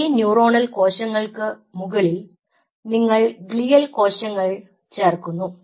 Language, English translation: Malayalam, on that you add the glial cells or you have the glial cells